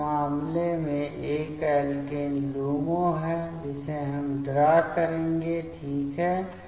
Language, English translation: Hindi, So, in this case, this is the alkene LUMO we will draw ok